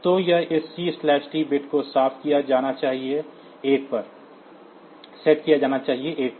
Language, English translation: Hindi, So, here this C/T bit should be set to 1